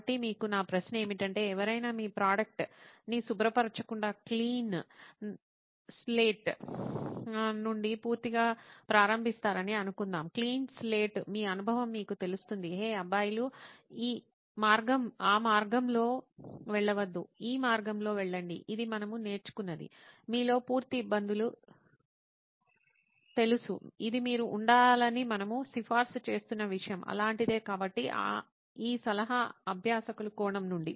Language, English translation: Telugu, So my question to you is suppose somebody starting out completely from clean slate not to pun on your product but clean slate, what would your you know experience say hey guys do not go that path, go this path this is what we have learned that is full of you know difficulties, this is something that we recommend you should be on, something like that for them, so this is from a practitioner point of view